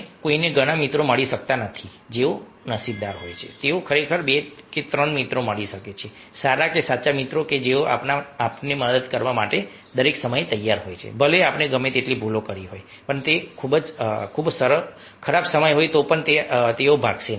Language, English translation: Gujarati, those who are lucky, they can get really two, three friends, good or true friends, who are really ah in a, all the time ready to help us, even if, if we have committed some mistakes, something very bad, they will not run away